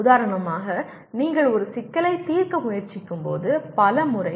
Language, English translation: Tamil, For example many times when you are trying to solve a problem